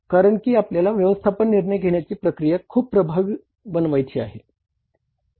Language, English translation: Marathi, Because we want to make our overall management decision making process very very effective